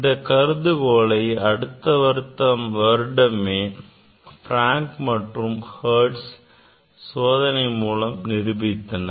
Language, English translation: Tamil, that assumption was experimentally verified by Frank and Hertz immediately next year